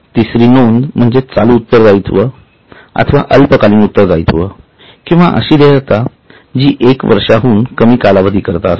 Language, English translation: Marathi, The third one is current liabilities or short term liabilities or those liabilities which are likely to last for less than one year